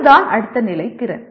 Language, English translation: Tamil, That is the next level capacity